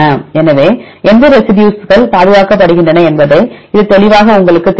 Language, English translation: Tamil, So, this will clearly tell you which residues are conserved which residues are variable